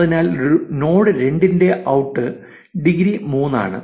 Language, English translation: Malayalam, Therefore, the out degree of node 2 is 3